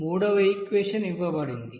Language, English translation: Telugu, And then here And then third equation here given